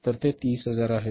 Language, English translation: Marathi, This is 30,000s